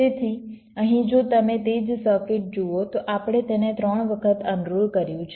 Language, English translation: Gujarati, so here, if you see that same circuit, we have unrolled it three times